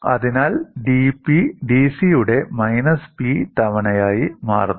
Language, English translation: Malayalam, So, dP becomes minus P times dC by C